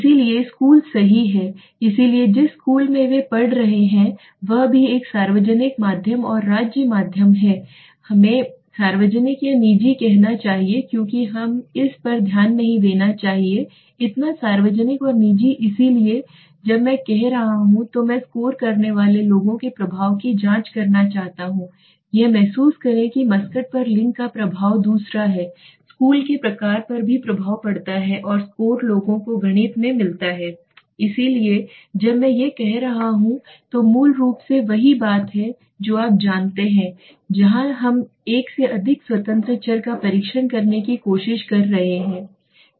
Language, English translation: Hindi, So school right so the school they are studying also we are having a say public medium and a state medium let us say or public and private the simple because I do not want to get into this thing so public and private so when I am having I want to check the effect of the people score I feel one that gender has an effect on the mascot second is the type of school also has an effect on the score people do get in math right so when I am doing this is basically what falls you know where we are trying to test more than one independent variable okay and here the advantage is that extraneous variable